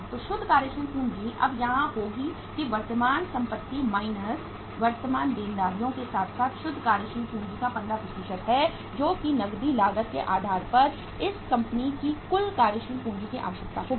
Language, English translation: Hindi, So the net working capital will now be here that is the current assets minus current liabilities plus 15% of the net working capital that will be the total working capital requirements of this company on the cash cost basis